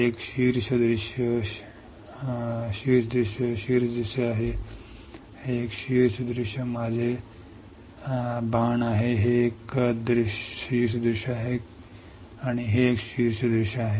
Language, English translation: Marathi, This one is top view top view this one, this one is top view, this one is top view my arrows, this one is top view and this one is top view this one